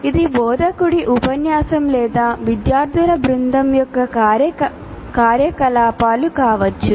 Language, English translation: Telugu, And there could be an instructor's lecture or the activities of a group of students